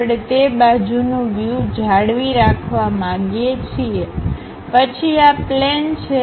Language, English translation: Gujarati, We want to retain that side view, then this is the plane